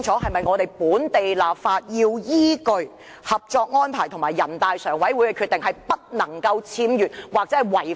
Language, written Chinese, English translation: Cantonese, 進行本地立法時是否必須依據《合作安排》及全國人大常委會的決定行事，不能有任何僭越或違反？, Must the enactment of local legislation keep within the parameters of the Co - operation Arrangement and the decision of NPCSC with no deviation or contravention whatsoever?